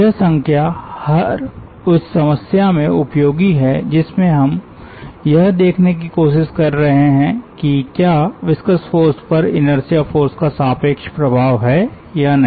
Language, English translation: Hindi, in whatever problem, we are trying to see whether there is a relative dominance of inertia force over viscous force or not